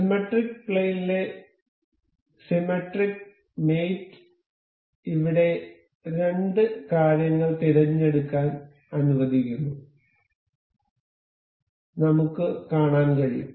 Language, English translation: Malayalam, Symmetric plane allows a symmetric mate allows us to select two things over here, we can see